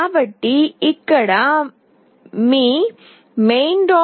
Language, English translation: Telugu, So, this is where this is your main